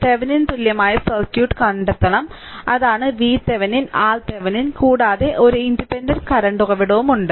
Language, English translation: Malayalam, We have to find out the Thevenin equivalent circuit; that is your V Thevenin and your R Thevenin right and one independent current source is there